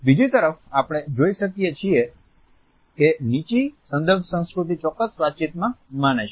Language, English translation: Gujarati, On the other hand we find that the low context culture believes in a precise communication